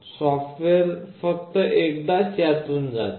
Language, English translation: Marathi, The software only goes through this once